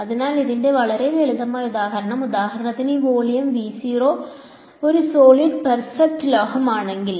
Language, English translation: Malayalam, So, very simple example of this is if for example, this volume V naught is a solid perfect metal